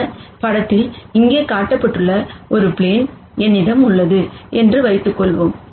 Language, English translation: Tamil, Let us assume that I have a plane which is shown here in this picture